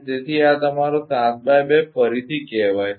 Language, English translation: Gujarati, So, this is say your 7 into 2 again